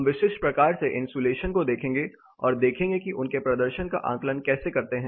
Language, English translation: Hindi, We will look at specific types of insulation and how to assess it is performance